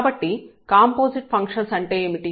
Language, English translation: Telugu, So, what are the composite functions